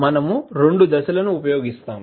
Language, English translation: Telugu, We use two steps